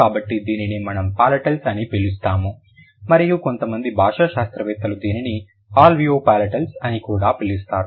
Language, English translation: Telugu, So, that is, that is what we call palatiles and some linguists also call it alveo palatiles